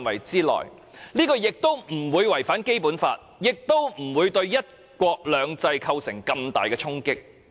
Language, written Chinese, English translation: Cantonese, 這樣既不會違反《基本法》，亦不會對"一國兩制"造成重大衝擊。, Not only will this avoid any contravention of the Basic Law but also avoid dealing a serious blow to one country two systems